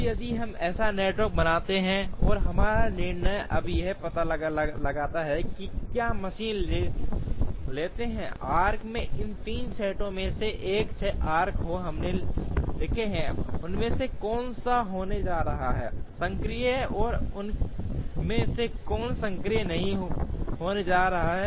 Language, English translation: Hindi, Now, if we draw such a network, and our decision now is to find out if we take machine 1 out of these 3 sets of arcs, 6 arcs that we have written, which of them are going to be active and which of them are not going to be active